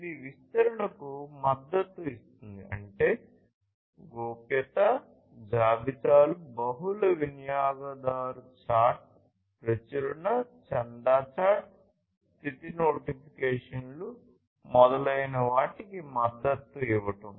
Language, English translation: Telugu, It supports extensibility; that means, supporting privacy lists, multi user chat, publish/subscribe chat, status notifications etc